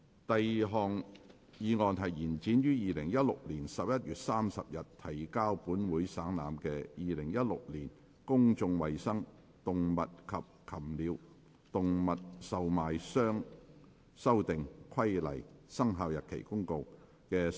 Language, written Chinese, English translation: Cantonese, 第二項議案：延展於2016年11月30日提交本會省覽的《〈2016年公眾衞生規例〉公告》的修訂期限。, Second motion To extend the period for amending the Public Health Amendment Regulation 2016 Commencement Notice which was laid on the Table of this Council on 30 November 2016